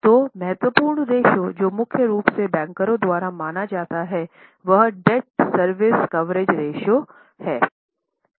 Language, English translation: Hindi, So, important ratio which is mainly considered by bankers is debt service coverage ratio